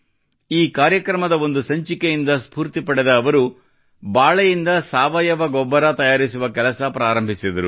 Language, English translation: Kannada, Motivated by an episode of this program, she started the work of making organic fertilizer from bananas